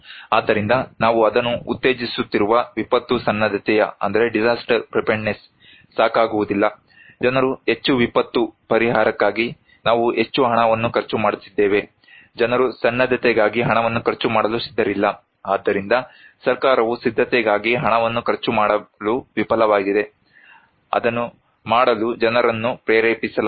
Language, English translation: Kannada, So, disaster preparedness which we are promoting it is not enough, people are more, we are spending more money on disaster relief, people are not ready to spend money on preparedness so, government is also failing to spend money on preparedness, people are not motivated to do it